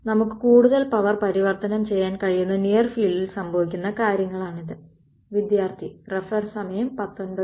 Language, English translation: Malayalam, So, it is the stuff is happening in the near field we are able to transform more power